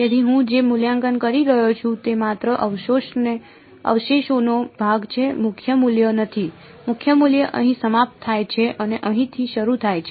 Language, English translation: Gujarati, So, what I am evaluating is only the residue part not the principal value; the principal value ends over here and starts over here right